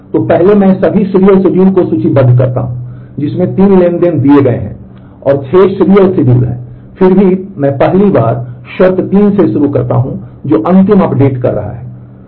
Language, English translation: Hindi, So, first I list out all the serial schedules given 3 transactions, there are 6 serial schedules and then I first start with condition 3 which is who is doing the last update